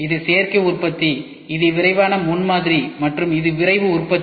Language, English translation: Tamil, We have Additive Manufacturing, then we have rapid prototyping, then we have Rapid Manufacturing ok